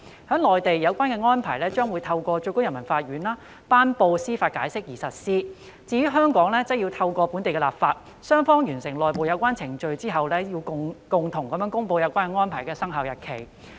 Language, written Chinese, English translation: Cantonese, 在內地，有關《安排》將透過最高人民法院頒布司法解釋而實施；在香港，則要透過本地立法；而在雙方完成內部有關程序後，便會共同公布有關《安排》的生效日期。, The Arrangement will be implemented by way of judicial interpretation promulgated by SPC in the Mainland and by way of local legislation in Hong Kong . After the completion of internal procedures Hong Kong and the Mainland will jointly announce the effective date of the Arrangement